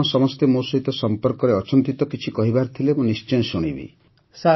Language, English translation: Odia, All of you are connected with me, so if you want to say something, I will definitely listen